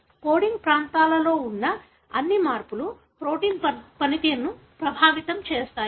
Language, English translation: Telugu, Is it that all the changes that are present in the coding regions affect the protein function